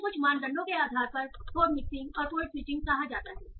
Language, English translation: Hindi, So these are called code mixing and code switching depending on certain criteria